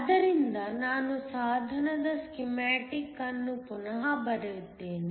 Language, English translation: Kannada, So, Let me redraw the schematic of the device